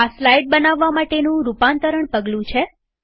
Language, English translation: Gujarati, This is the step for building slide transitions